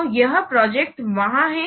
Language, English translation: Hindi, So this project is there